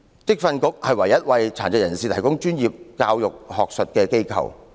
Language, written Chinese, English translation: Cantonese, 職訓局是唯一為殘疾人士提供專業教育的學術機構。, The VTC is the only academic institution that provides professional education for people with disabilities